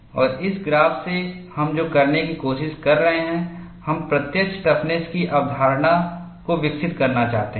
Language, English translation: Hindi, And from this graph, what we are trying to do is, we want to develop the concept of apparent toughness